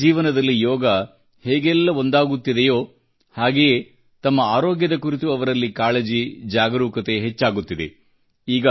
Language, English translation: Kannada, As 'Yoga' is getting integrated with people's lives, the awareness about their health, is also continuously on the rise among them